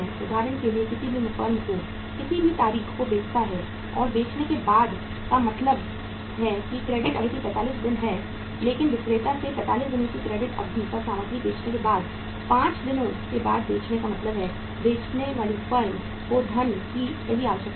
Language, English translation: Hindi, Say for example any firm sells on any date and after selling means the credit period is 45 days but after selling means after 5 days after selling the material on a credit period of 45 days from the seller, the selling firm needs the funds right